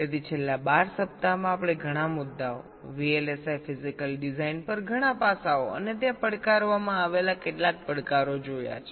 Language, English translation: Gujarati, so over the last to vlsi we have seen lot of issues, lot of aspects on vlsi physical design and some of the challenges that are faced there in